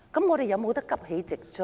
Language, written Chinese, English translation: Cantonese, 我們可否急起直追？, Can we rise again to catch up?